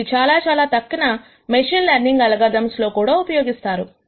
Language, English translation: Telugu, And this is also used in many many other machine learning algorithms